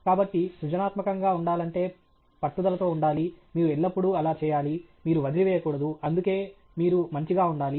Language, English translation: Telugu, So, to be creative one needs to be persistent; you should be at it; you should not give up okay; that is why you have to be tenacious